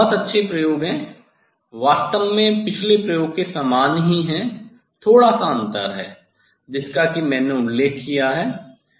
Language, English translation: Hindi, these are also very nice experiment, actually similar to the last experiment slightly difference is there as I mentioned